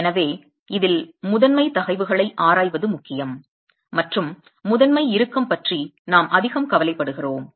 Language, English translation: Tamil, So, in this, it's important to examine the principal stresses and we are concerned more about the principal tension